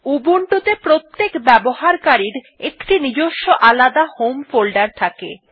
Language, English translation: Bengali, Every user has a unique home folder in Ubuntu